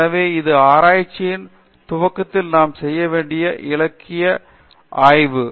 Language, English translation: Tamil, So, this is about the literature survey that we do with at the beginning of the research